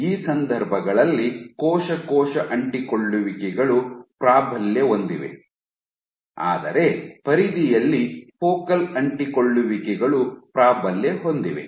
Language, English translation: Kannada, In these cases you had cell cell adhesions dominate, but at the periphery you had focal adhesions dominate